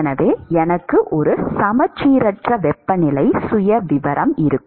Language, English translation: Tamil, So, I will have an asymmetric temperature profile